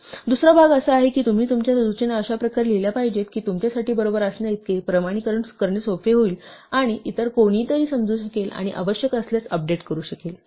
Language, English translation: Marathi, And the second part is that you must write down your instructions in a way that as easy for you to validated as being correct, and for somebody else to understand and if necessary update